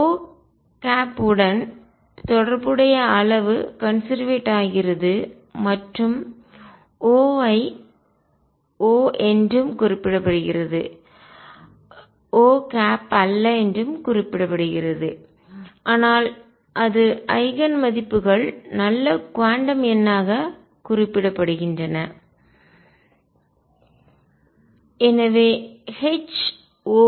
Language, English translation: Tamil, And the quantity corresponding to O is conserved and O is also referred to as O is also referred to as not O, but it is Eigen values are referred to as good quantum number